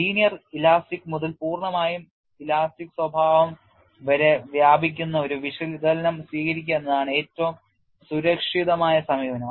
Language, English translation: Malayalam, The safest approach is to adopt an analysis that spans the entire range from linear elastic to fully plastic behavior